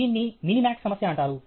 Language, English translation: Telugu, This is called a minimax problem